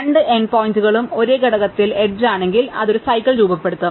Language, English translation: Malayalam, If the two end points are in the same component then it will form a cycle